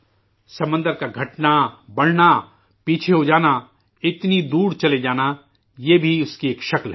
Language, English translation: Urdu, Advancing, receding, moving back, retreating so far away of the sea is also a feature of it